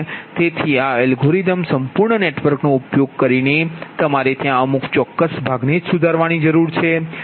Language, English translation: Gujarati, so this, using this algorithm, whole network, no need to modify only certain portion, you have to